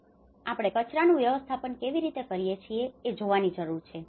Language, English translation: Gujarati, So, we need to see how we can incorporate the waste management, energy